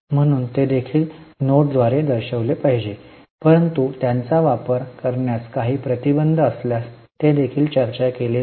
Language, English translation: Marathi, So, they should also be shown by way of note but if there are restrictions on use of them they should also be disclosed